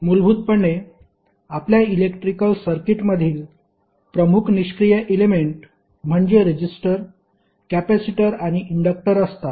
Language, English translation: Marathi, Basically, the major passive elements in our electrical circuits are resistor, capacitor, and inductor